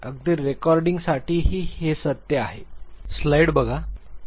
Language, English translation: Marathi, This is true even for the recordings